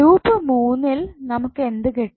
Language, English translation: Malayalam, For loop 3 what you will get